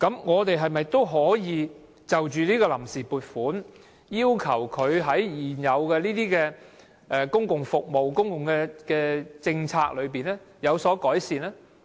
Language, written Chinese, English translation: Cantonese, 我們是否可以透過審議臨時撥款的決議案，要求政府在現有的公共服務和政策上有所改善？, Can we ask the Government to improve the existing public services and policies when scrutinizing the VoA resolution?